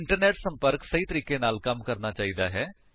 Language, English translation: Punjabi, The Internet connection should be working fine